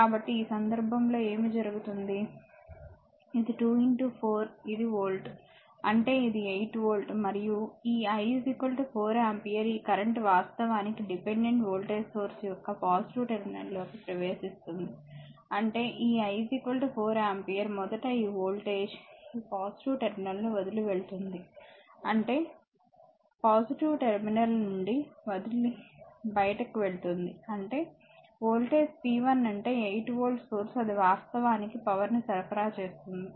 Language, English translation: Telugu, So, in this case what will happen that, this is your 2 into 4 this is volt ; that means, it is 8 volt right and this I is equal to 4 ampere this current actually entering into the positive terminal of this dependent voltage source ; that means, your; that means, this 4 I this I is equal to 4 ampere first leaving this voltage leaving this plus terminal; that means, when you leaving the plus terminal; that means, voltage p 1 that is the 8 volt source it is actually supplying power